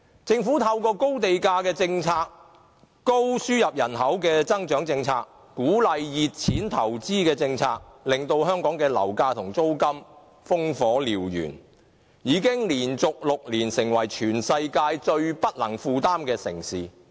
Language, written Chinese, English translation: Cantonese, 政府透過高地價政策、高度輸入人口的政策，以及鼓勵"熱錢"投資的政策，令香港樓價和租金飆升，已連續6年成為全球最不能負擔的城市。, The Governments high land premium policy excessive importation of labour policy and policy to encourage hot money investment have resulted in high levels of property prices and rentals . For six years in a row Hong Kong has become the most unaffordable city in the world